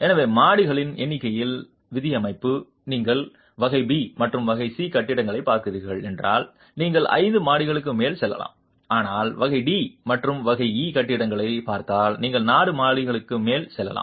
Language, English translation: Tamil, If you are looking at category B and category C buildings, you can go up to five stories, but if you are looking at category D and category E buildings, you can go up to four stories